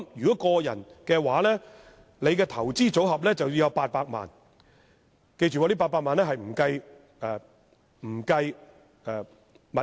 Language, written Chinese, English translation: Cantonese, 就個人而言，其投資組合須擁有最少800萬元，而這800萬元並不包括任何物業。, For any individual a person having a portfolio of not less than 8 million will be regarded as a PI and no real property is included in this amount